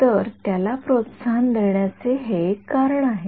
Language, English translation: Marathi, So, it is one reason to promote it